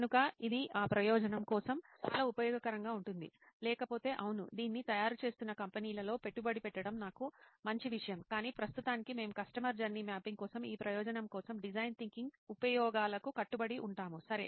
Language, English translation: Telugu, So it is pretty useful for that purpose; otherwise, yeah,good thing for me will be to invest in companies which are making this but for now we will stick to the uses of design thinking for this purpose of customer journey mapping, ok